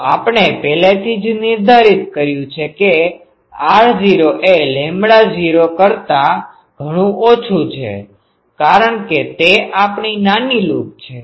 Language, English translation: Gujarati, So, already we have defined that r naught is much much less than lambda naught because that is our small loop